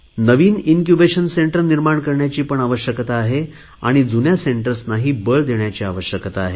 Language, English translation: Marathi, Creation of new Incubation Centres is essential just as it is necessary to strengthen the older Incubation Centres